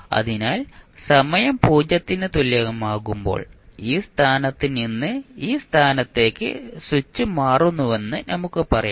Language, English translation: Malayalam, So, we can say that when time t is equal to 0 the switch is thrown from this position to this position